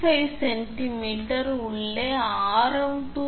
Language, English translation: Tamil, 5 centimeter, inside radius is 2